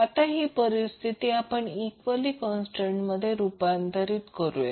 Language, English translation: Marathi, Now this condition we can converted into equality constant